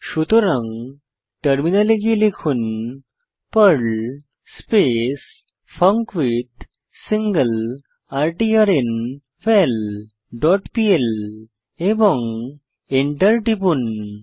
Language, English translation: Bengali, So, switch to terminal and type perl funcWithSingleRtrnVal dot pl and press Enter